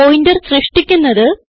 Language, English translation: Malayalam, To create Pointers